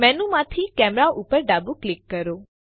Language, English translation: Gujarati, Left click camera from the menu